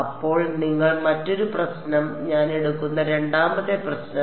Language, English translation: Malayalam, Then you also another problem the second problem I will take